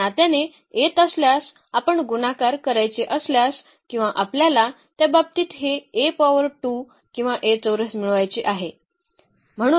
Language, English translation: Marathi, So, having this relation then if you want to multiply or we want to get this A power 2 or A square in that case